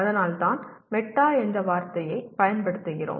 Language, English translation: Tamil, That is why we use the word meta